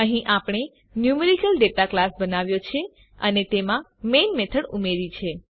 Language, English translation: Gujarati, We have created a class NumericalData and added the main method to it